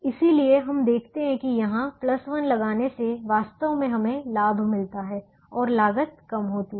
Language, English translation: Hindi, so we observe that putting a plus one here can actually give us a gain and can reduce the cost